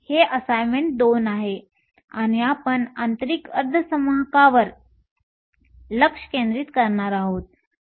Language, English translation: Marathi, This is assignment 2, and we will be focusing on intrinsic semiconductors